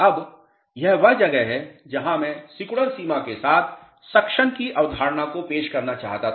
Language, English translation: Hindi, Now, this is where I wanted to introduce the concept of suction with the shrinkage limit